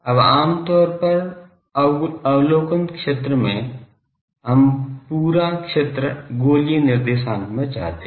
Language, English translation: Hindi, Now, generally in the observation zone, we want the whole thing in terms of spherical coordinates